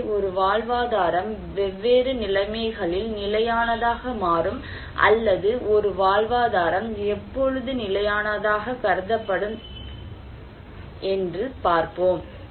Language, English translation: Tamil, So, a livelihood becomes sustainable in different conditions or a livelihood should be considered as sustainable